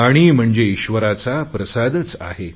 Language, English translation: Marathi, Water is also an offering form the God